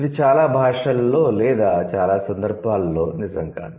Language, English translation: Telugu, But that doesn't hold true in most of the cases